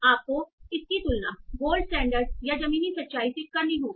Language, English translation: Hindi, You have to compare it with the gold standard or the ground truth